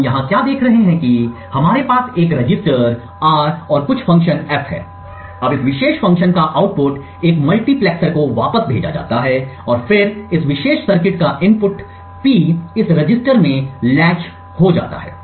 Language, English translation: Hindi, So what we see over here is that we have a register R and some function F, now the output of this particular function is fed back to a multiplexer and then gets latched into this register, the input to this particular circuit is P